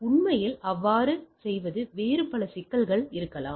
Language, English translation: Tamil, Indeed doing so there may be lot of other issues right